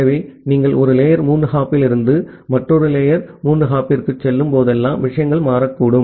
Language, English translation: Tamil, So, whenever you are going from one layer three hop to another layer three hop then the things may get changed